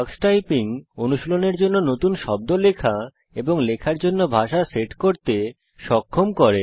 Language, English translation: Bengali, Tuxtyping also enables you to enter new words for practice and set the language for typing